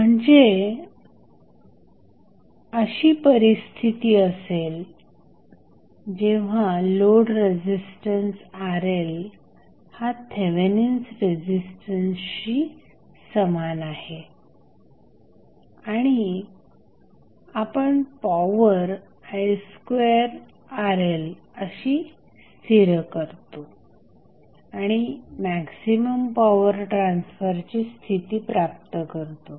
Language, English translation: Marathi, So, that condition comes when Rl that is the load resistance is equal to Thevenin resistance and we stabilize that the power is nothing but I square Rl and we derived the maximum power transfer condition